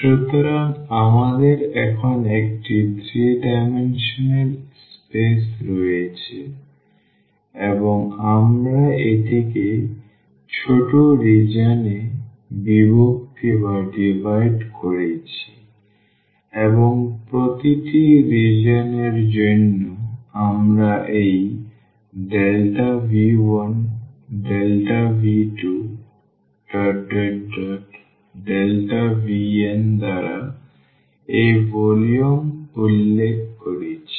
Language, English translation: Bengali, So, we have a 3 dimensional a space now and we have divided that into small regions and for each region we are denoting its volume by this delta V 1 delta V 2 and delta V n